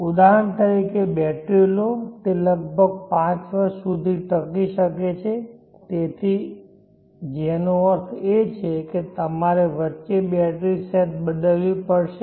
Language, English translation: Gujarati, Take for example batteries they may last for around 5 years which means that you may have to replace the batteries sets in between